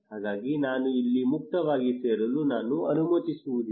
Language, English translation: Kannada, so I am not allowing you to join here freely